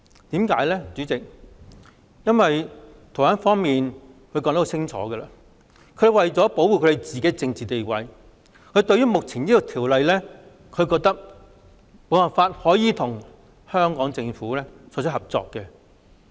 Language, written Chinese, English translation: Cantonese, 代理主席，原因是台灣當局已清楚表示，為了保護台灣的政治地位，修例亦無法促成台灣與香港政府的合作。, Deputy President the Taiwan authorities have clearly stated that in order to safeguard Taiwans political status the amended legislation cannot serve to foster cooperation between the governments of Taiwan and Hong Kong